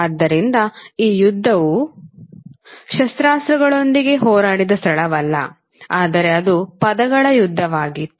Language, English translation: Kannada, So this war war is not a war we fought with the weapons, but it was eventually a war of words